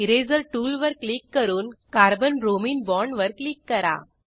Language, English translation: Marathi, Click on Eraser tool and click on Carbon bromine bond